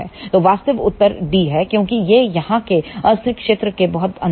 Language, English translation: Hindi, So, the actual answer is d because, this is deep inside the unstable region here